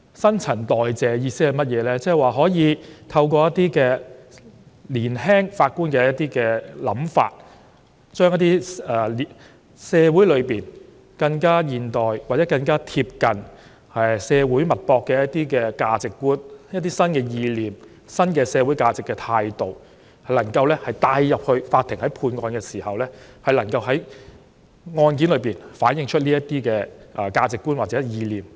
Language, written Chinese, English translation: Cantonese, 新陳代謝的意思是透過年輕法官的想法，將一些更現代、更貼近社會脈搏的價值觀，以及一些新意念和新的社會價值態度帶進法院，讓法官在審理案件時，可以反映這些價值觀和意念。, That is to say young judges will bring in modern values which keep tabs with the pulse of society as well as new concepts and attitudes of society . Such values and concepts will be reflected in the judgments of young judges